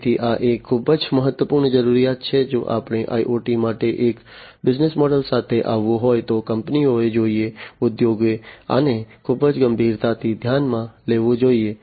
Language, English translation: Gujarati, So, this is a very important requirement, if we have to come up with a business model for IoT the companies should, the industry should consider this very seriously